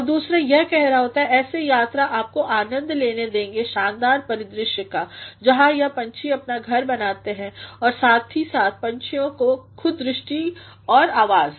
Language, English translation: Hindi, And the other by saying, such tours will allow you to enjoy the magnificent landscapes, where these birds make their dwelling as well as the sights and sounds of the birds themselves